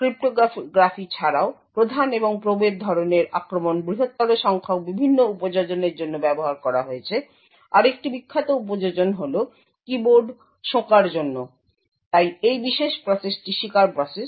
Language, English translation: Bengali, Besides cryptography the prime and probe type of attack have been used for a larger number of different applications, one other famous application is for keyboard sniffing, so this particular process is the victim process